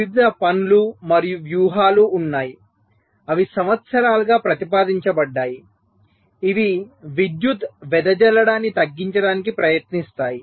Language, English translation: Telugu, so there have been various works and strategies that have been proposed over the years which try to reduce the power dissipation